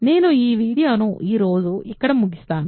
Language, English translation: Telugu, So, I will end this video here today